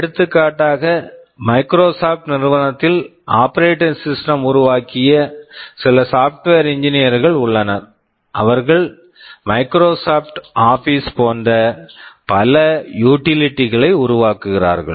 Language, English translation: Tamil, For example, in Microsoft there are some software engineers who developed the operating system, who develop utilities like Microsoft Office, and so on